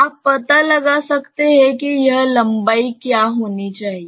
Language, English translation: Hindi, You can find out that what should be this length